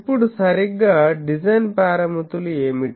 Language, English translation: Telugu, Now with proper, so what are the design parameters